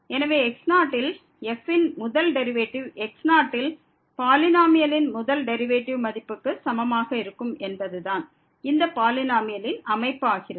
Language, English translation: Tamil, So, the first derivative of a at is equal to the first derivative of the polynomial at this was the construction of this polynomial